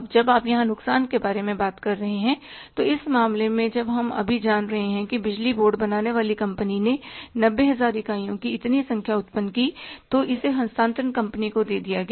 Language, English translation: Hindi, Now when you are talking about the loss here so in this case when we are knowing now that the power board generating company generated this much number of units, 90,000 were passed down to the transmission company it means we know at this level we lost 10,000